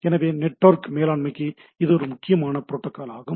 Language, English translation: Tamil, So, there is a important protocol for network management